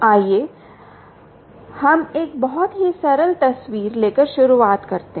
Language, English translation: Hindi, let us start by taking a very simple picture